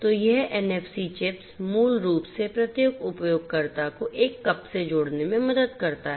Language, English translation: Hindi, So, this NFC chips basically helps in connecting each user to a cup